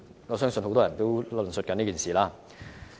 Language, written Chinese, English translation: Cantonese, 我相信很多人都在討論這件事。, I believe that this issue is under discussion by many people